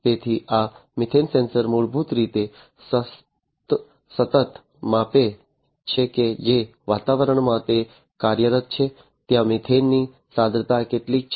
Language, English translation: Gujarati, So, this methane sensor; basically continuously measures that how much is the methane concentration in the environment in which it is operating